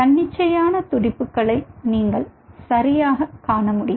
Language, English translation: Tamil, you should be able to see the spontaneous beatings right